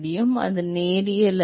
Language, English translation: Tamil, Yeah, it is not necessarily linear